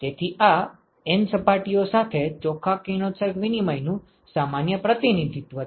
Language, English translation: Gujarati, So, this is a general representation of the net radiation exchange with N surfaces